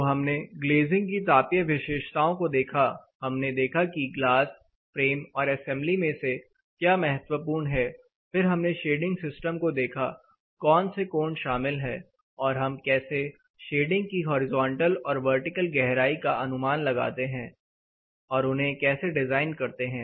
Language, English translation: Hindi, So, we looked at the thermal properties of glazing, what is important glass frame and assemblies, then we looked at shading systems typically what angles are involved and how do we design a quick estimate of the shading depths vertical and horizontal shading devices